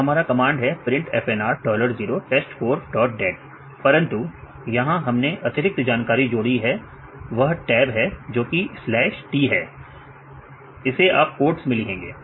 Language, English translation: Hindi, The same print FNR dollar 0 test four dot dat right, but here we added another information that is tab, that is backslash t right you put in the quotes right